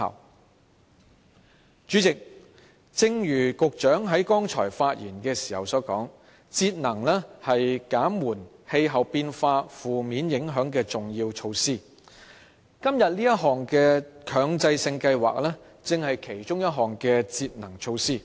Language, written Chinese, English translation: Cantonese, 代理主席，正如局長剛才發言時所說，節能是減緩氣候變化負面影響的重要措施，而今天這項強制性標籤計劃，正是其中一項節能措施。, Deputy President as the Secretary said in his earlier speech energy conservation is an important measure to mitigate the negative effects of climate change and MEELS under discussion today is precisely one of the energy conservation measures